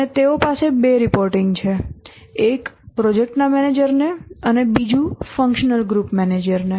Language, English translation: Gujarati, One is to the manager of the project and the other is to the functional group manager